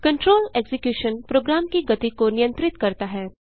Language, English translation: Hindi, Control execution is controlling the flow of a program